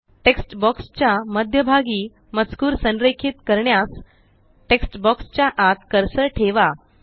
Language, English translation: Marathi, To align the text to the centre of the text box, place the cursor inside the text box